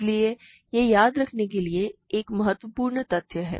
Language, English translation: Hindi, So, this is an important fact to remember